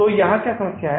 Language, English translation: Hindi, So what is the problem here